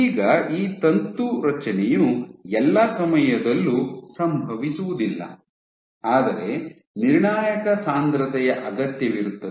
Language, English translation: Kannada, Now this filament formation does not happen at all times, but will require a critical concentration